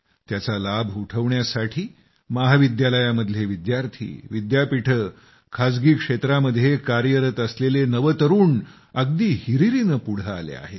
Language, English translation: Marathi, And to avail of its benefits, college students and young people working in Universities and the private sector enthusiastically came forward